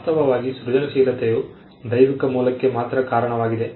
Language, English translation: Kannada, In fact, creativity was attributed only to divine origin